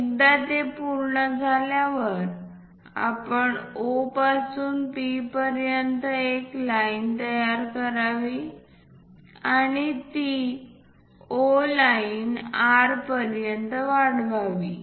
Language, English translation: Marathi, Once it is done, we have to construct a line from O to P and then extend that O P line all the way to R